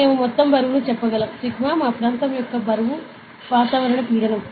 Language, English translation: Telugu, So, we can say the total weight, sigma of what our weight of the area is the atmospheric pressure